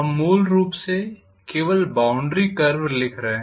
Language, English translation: Hindi, We are essentially writing only the boundary curve